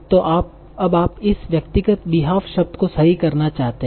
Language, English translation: Hindi, So now you want to correct this particular word to the actual word behalf